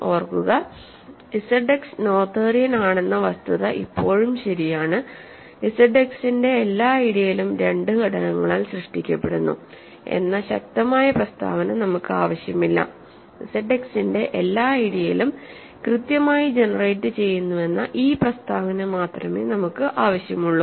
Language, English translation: Malayalam, Remember that, the fact that Z X is noetherian is still true, we do not need this stronger statement that every ideal of Z X is generated by 2 elements, we only need this statement that every ideal of Z X is finitely generated